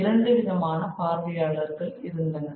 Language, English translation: Tamil, There were two audiences